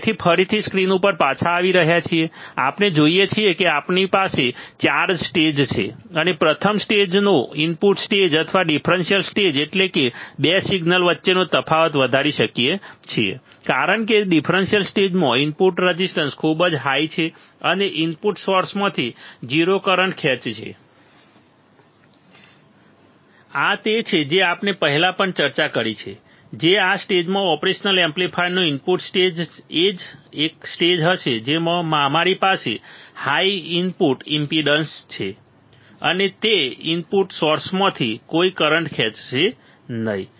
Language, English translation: Gujarati, So, again coming back on the screen, what we see is that we have 4 stages, we have 4 stages and the first stage input stage or the differential stage can amplify difference between 2 signals of course, because the differential stage input resistance is very high and draw 0 current from input sources correct this is what we have already discussed earlier also that this; this stage the input stage of the operation amplifier would be a stage in which we have high input impedance and it would draw no current from the input sources